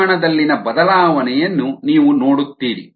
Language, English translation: Kannada, and you see the change in the magnitudes